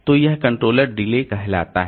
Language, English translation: Hindi, So, that is the controller delay